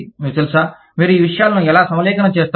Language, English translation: Telugu, You know, how do you align these things